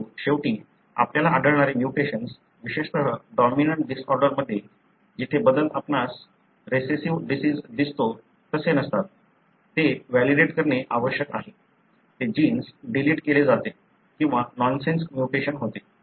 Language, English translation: Marathi, But, at the end of the day, you need to validate, the mutation that you find, especially in dominant disorders where the changes are not like what you see in recessive disease; that gene is deleted or nonsense mutation